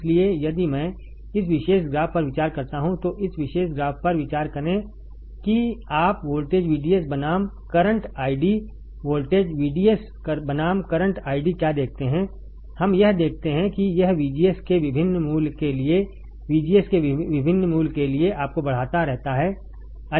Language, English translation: Hindi, So, if I if you consider this particular graph, consider this particular graph what you see voltage VDS versus current ID voltage, VDS versus current ID, what we see that it keeps on increasing for different value of VGS right for different value of VGS you can see different current